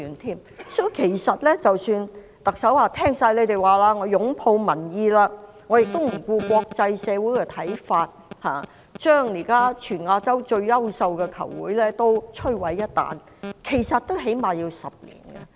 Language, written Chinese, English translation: Cantonese, 即使特首表示，完全接納你們的意見，擁抱民意，不理會國際社會的看法，將現在全亞洲最優秀的球會毀於一旦，其實起碼要10年。, Even if the Chief Executive pledged to destroy the long - existing best golf club in Asia now fully endorsing your views embracing public opinion and ignoring the views of the international community it would actually take at least a decade to do so